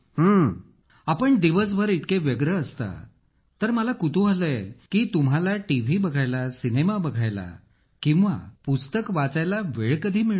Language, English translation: Marathi, If you are so busy during the day, then I'm curious to know whether you get time to watchTV, movies or read books